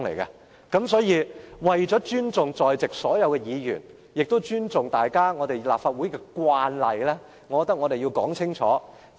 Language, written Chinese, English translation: Cantonese, 因此，為了尊重所有在席議員，也尊重立法會的慣例，我認為我們要說清楚。, Hence to respect all the Members in the Chamber and the convention of the Legislative Council I think we have to make it clear